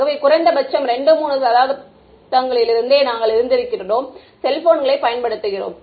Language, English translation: Tamil, So, we have been it has been at least what 2 3 decades since we have been using cell phones